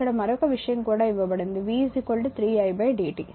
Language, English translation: Telugu, Now also another thing is given that v is equal to 3 di by dt